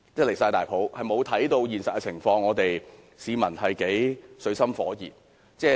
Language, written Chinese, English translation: Cantonese, 他們沒有注意現實的情況，不知市民活在水深火熱中。, They have given no regard to the reality unaware that people are in deep water